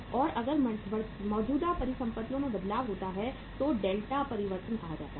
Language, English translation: Hindi, And if there is a change in the current assets that is say uh delta change